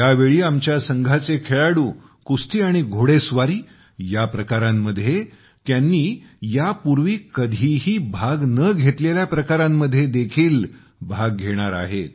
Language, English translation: Marathi, This time, members of our team will compete in wrestling and horse riding in those categories as well, in which they had never participated before